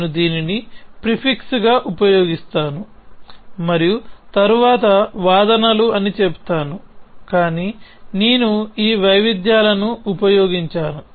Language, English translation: Telugu, I would use this as the prefix and then said the arguments are, but I used so this variations